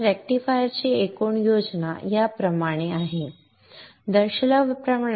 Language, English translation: Marathi, So the total schematic of the rectifier is like this as shown